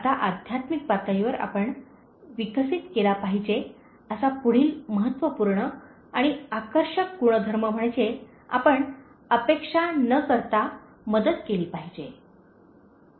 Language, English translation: Marathi, Now, the next important and attractive trait that you should develop at a spiritual level is, you should help without expectations